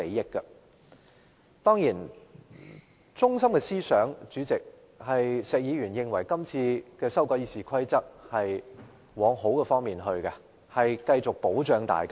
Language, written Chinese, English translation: Cantonese, 石議員發言的中心思想，是認為今次修改《議事規則》是要朝好的方向發展，可以繼續保障大家。, The theme of Mr SHEKs speech was that the current amendment of RoP would lead the Council to develop in a good direction and that RoP would continue to safeguard all of us